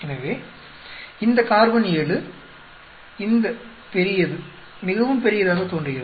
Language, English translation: Tamil, So, this carbon seven are, this big looks very big